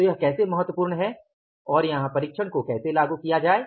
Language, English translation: Hindi, So, how it is important and how to apply the check here